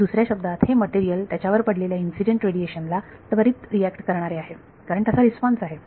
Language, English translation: Marathi, So, in other words, this is a material that reacts instantaneously to the incident radiation because the response is